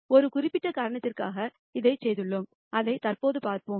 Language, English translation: Tamil, we have done this for a specific reason which we will see presently